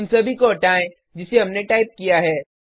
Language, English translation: Hindi, Remove all that we just typed